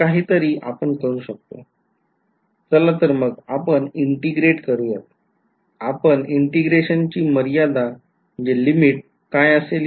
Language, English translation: Marathi, So, let us integrate, but what should be the region of integration